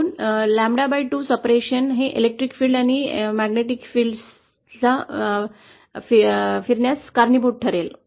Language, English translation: Marathi, So lambda by two separation will cause electric fields and the magnetic fields to rotate